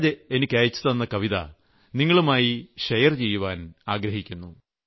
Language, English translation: Malayalam, But here I would like to share with you the poem sent by Suraj Ji